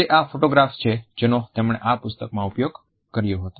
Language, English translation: Gujarati, They are the original photographs which he had used in this book